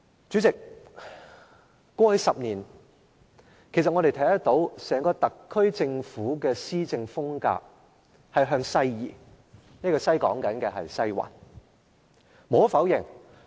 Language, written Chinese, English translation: Cantonese, 主席，過去10年，我們看到整個特區政府的施政風格向西移，我指的是移向"西環"。, President we observe that over the past 10 years the entire SAR Government has turned westernized in its work in the sense that it has moved closer and closer to the Western District